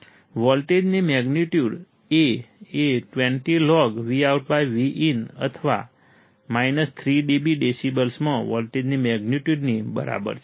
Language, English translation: Gujarati, Magnitude of voltage is A equals to 20log or 3 dB magnitude of voltage in decibels